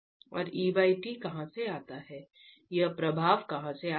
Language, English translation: Hindi, And where does E by T, where does this effect come from